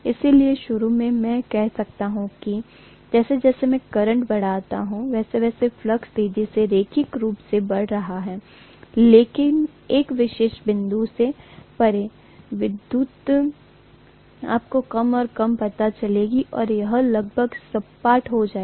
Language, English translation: Hindi, So initially, I may say that as I increase the current, the flux is increasingly linearly, but beyond a particular point, the increase will become you know less and less and it will become almost flat, right